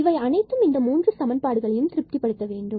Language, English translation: Tamil, This is another point which satisfies all these equations